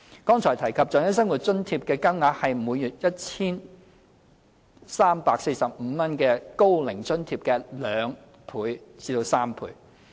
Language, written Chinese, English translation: Cantonese, 剛才提及的長者生活津貼，其金額是每月 1,345 港元的高齡津貼的約兩至三倍。, OALA mentioned just now is around two to three times of the OAA which provides recipients HK1,345 per month